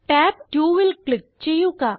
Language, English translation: Malayalam, Click on tab 2